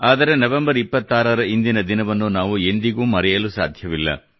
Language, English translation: Kannada, But, we can never forget this day, the 26th of November